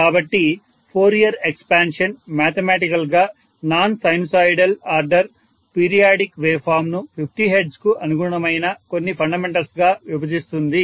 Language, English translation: Telugu, So the Fourier expansion will allow mathematically a non sinusoidal order periodic waveform to be decomposed into some fundamental which is corresponding to 50 hertz